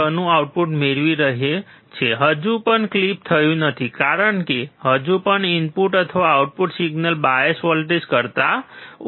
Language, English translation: Gujarati, 6, still it is not clipped, because, still this input or the output signal is less than the bias voltage